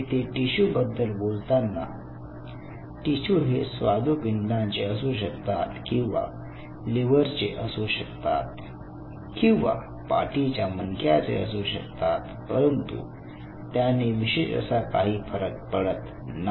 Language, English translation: Marathi, So, you know this is your tissue has this kind of it may be a pancreatic tissue it could be a liver tissue it could be a spinal cord it does not matter that is irrespective ok